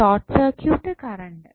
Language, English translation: Malayalam, The short circuit current